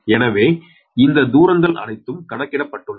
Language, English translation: Tamil, so all these distances are calculated